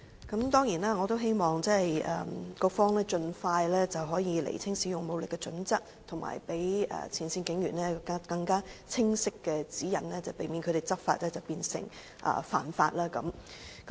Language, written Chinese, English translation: Cantonese, 我當然希望局方盡快釐清使用武力的準則，以及給予前線警員更清晰的指引，避免他們執法變成犯法。, I definitely hope that the Bureau can clearly set out the criteria for the use of force as soon as possible and to provide frontline police officers with more clear guidelines so as to avoid turning law enforcement officers into law offenders